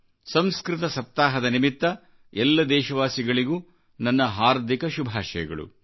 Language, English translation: Kannada, On the occasion of Sanskrit week, I extend my best wishes to all countrymen